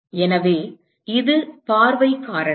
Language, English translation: Tamil, So, this is the view factor